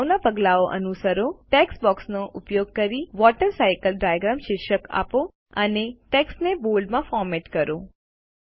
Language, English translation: Gujarati, Following the previous steps, lets give the Title WaterCycle Diagram Using a text box and format the text in Bold